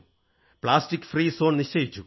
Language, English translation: Malayalam, They ensured plastic free zones